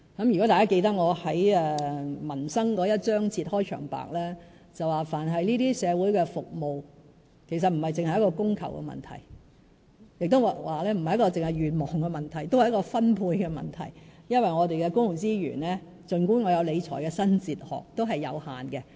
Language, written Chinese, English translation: Cantonese, 如果大家記得我在民生章節的開場白提到，但凡社會服務皆不只是供求的問題，亦不只是願望的問題，也是分配的問題，因為儘管我有理財的新哲學，我們的公共資源也是有限的。, Members may still remember my opening remark in the chapter on peoples livelihood social services are not merely a matter of supply and demand or a matter of individual wishes . They also involve resource allocation . I have a new fiscal philosophy but our public resources are not without limits